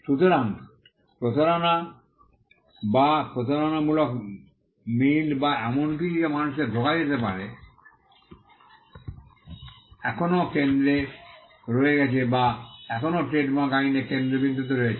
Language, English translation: Bengali, So, deception or deceptive similarity or something that could deceive people still remains at the centre or still remains the focal point of trademark law